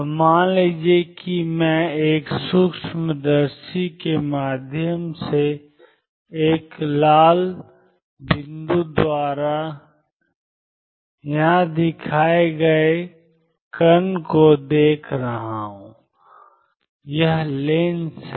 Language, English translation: Hindi, So, consider this suppose I am looking at a particle shown here by a red dot through a microscope is the lens